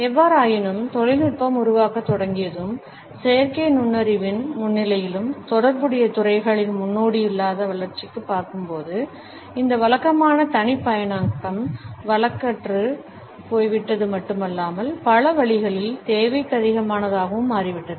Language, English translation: Tamil, However, once the technology started to develop and with the presence of artificial intelligence, when we are looking at an unprecedented development in related fields this conventional personalization has become not only obsolete, but also in many ways redundant